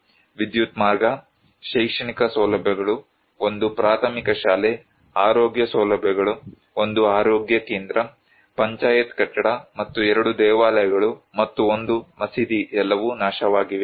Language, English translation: Kannada, The electricity line, educational facilities, one primary school, health facilities, one health centre, Panchayat building and two temples and one mosque were all destroyed